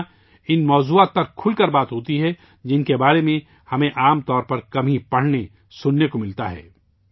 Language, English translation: Urdu, Here those topics are discussed openly, about which we usually get to read and hear very little